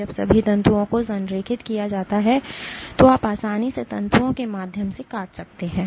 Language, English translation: Hindi, When all the fibers are aligned you can easily cut through the fibers